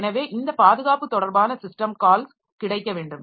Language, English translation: Tamil, So, these are the protection related system calls that should be available